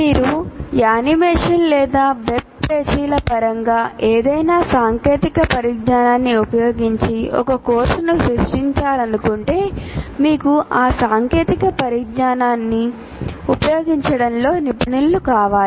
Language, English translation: Telugu, If you want to create using any of the technology in terms of their animations or web pages, anything that you want to do, you require a, some people who are specialists in using those technologies